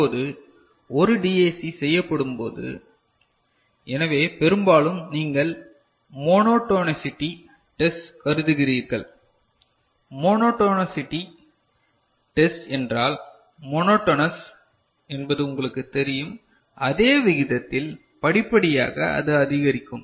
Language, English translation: Tamil, Now, when a DAC is made so, often you consider monotonicity test; monotonicity test means, monotonous we know it is you know increasing; at the same rate, gradually it is increasing